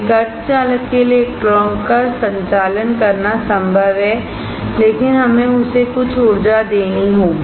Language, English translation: Hindi, It is possible for a semi conductor to conduct electron but, we have to give some energy